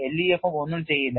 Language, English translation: Malayalam, LEFM will not do